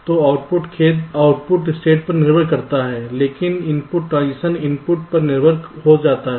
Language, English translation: Hindi, the output depends on the state, but the input transition may depend on the input